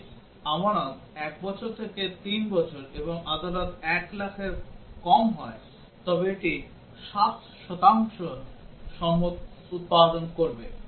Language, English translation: Bengali, If the deposit is 1 year to 3 year and deposit is less than 1 lakh, it will produce 7 percent